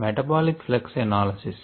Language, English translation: Telugu, so the metabolite flux analysis